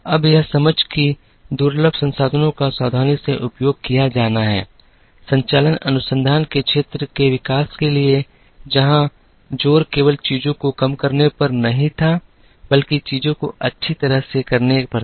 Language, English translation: Hindi, Now, this understanding that scarce resources have to be utilized carefully, led to the development of the field of Operations Research, where the emphasis was not only on doing things, but doing things well